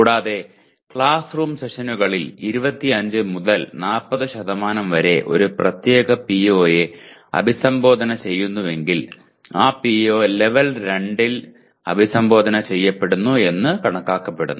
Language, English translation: Malayalam, And if 25 to 40% of classroom sessions address a particular PO it is considered PO is addressed at the level of 2